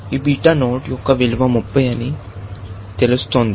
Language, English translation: Telugu, This beta node is saying it is 30